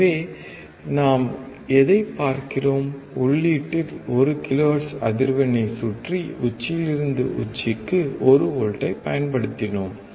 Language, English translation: Tamil, So, what we are looking at, we have applied 1 volts peak to peak, around 1 kilohertz frequency at the input